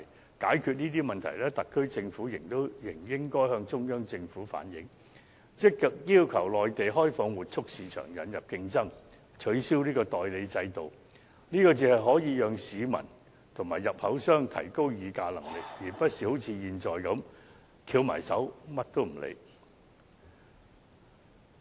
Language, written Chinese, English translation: Cantonese, 要解決這些問題，特區政府仍應該向中央政府反映，積極要求內地開放活畜市場，引入競爭，取消代理制度，這才可讓市民和入口商提高議價能力，而不是好像現在般，翹起雙手，甚麼也不理。, To resolve these problems the Special Administrative Region Government should relay such problems to the Central Government actively request the Mainland to open up the livestock market introduce competition and abolish the agency system . Only then can the bargaining power of members of the public and importers be raised . It should not keep its arms folded disregarding everything like it is doing now